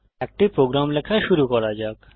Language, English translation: Bengali, Let us start to write a program